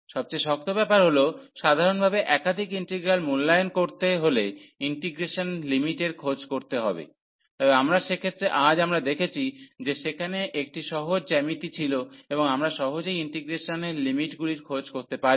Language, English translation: Bengali, The hardest past hardest passed usually is the evaluating multiple integral is the finding the limits of integration, but in cases which we have considered today there was simple a geometry and we can easily find the limits of integration